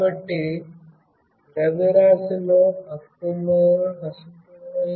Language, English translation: Telugu, So, there is an imbalance in the mass